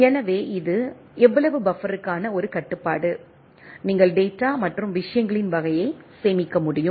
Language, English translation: Tamil, So, that is a restriction on the how much buffer, you can store the data and type of things